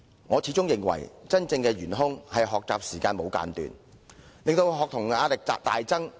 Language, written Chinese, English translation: Cantonese, 我始終認為真正的元兇，是無間斷的學習時間，令學童的壓力大增。, In my opinion the real culprit is the long learning hours which has exerted immense pressure on students